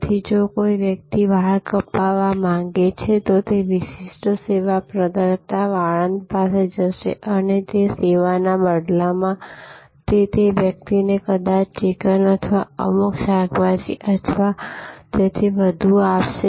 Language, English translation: Gujarati, So, if somebody wanted a haircut, then he will go to the specialized service provider, the barber and in exchange of that service he would possibly give that person a chicken or may be some vegetables or so on